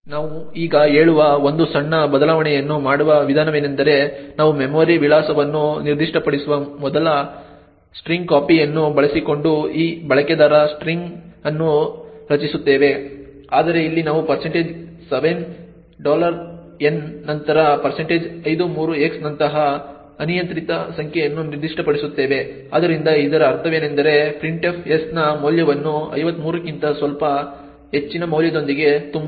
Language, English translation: Kannada, what we say now is that we create this user string using strcpy as before we specify the memory address but here we specify an arbitrary number such as % 53x followed by the % 7$n, so what this means is that printf would fill the value of s with some value which is slightly greater than 53